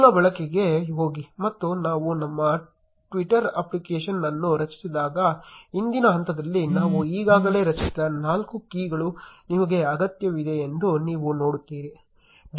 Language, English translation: Kannada, Go to the basic usage, and you will see that you need the four keys which we already created in the previous step when we created our twitter app